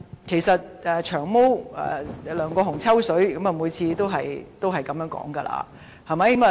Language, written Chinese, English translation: Cantonese, 其實"長毛"梁國雄議員每次"抽水"也是這樣說的，對嗎？, In fact Mr LEUNG Kwok - hung Long Hair will resort to this approach every time to piggyback on others . Am I right?